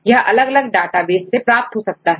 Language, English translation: Hindi, So, there are various databases